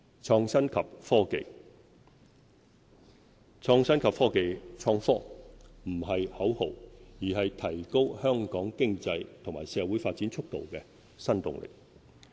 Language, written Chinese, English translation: Cantonese, 創新及科技不是口號，而是提高香港經濟和社會發展速度的新動力。, Innovation and technology are no slogan . They create new impetus for economic and social development